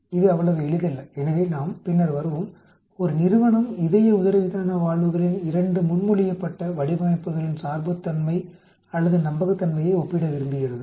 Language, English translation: Tamil, It is not so simple as we come along later, a company wants to compare the dependability or reliability of 2 proposed designs of heart diaphragm valves